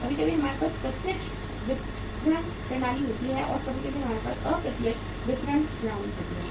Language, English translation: Hindi, Sometime we have the direct marketing system and sometime we have the indirect marketing system